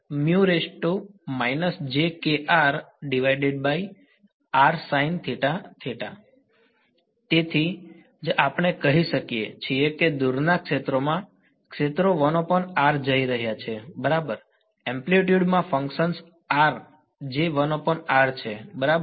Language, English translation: Gujarati, So, that is why we say that in the far field, the fields are going 1 by r right in amplitude at least has a function of r is going is 1 by r ok